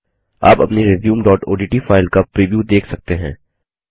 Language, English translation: Hindi, You can see the preview of our resume.odt file